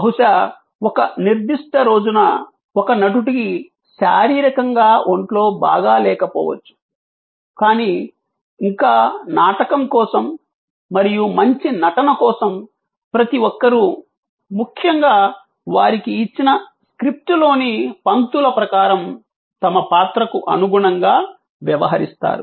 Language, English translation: Telugu, May be on a particular day, one actor is not feeling to well physically, but yet for the sake of the play and for the sake of good performance, every one acts according to their role and most importantly, according to the lines, the script given to them